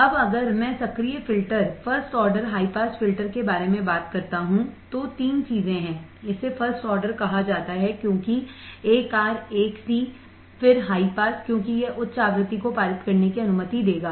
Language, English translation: Hindi, Now if I talk about active filter, first order high pass filter, 3 things are, it’s called first order because 1 R, 1 C, then high pass because it will allow the high frequency to pass